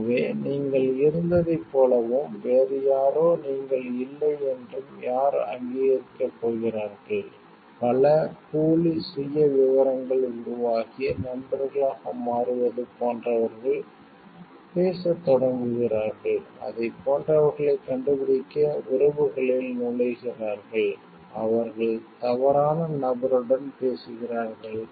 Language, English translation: Tamil, So, who is going to authenticate like you were you and somebody else is not you, there are so, many fake profiles developed and people like become friends, start talking, enter into relationships to find like it, they have been talking to a wrong person and lots of crimes happen after that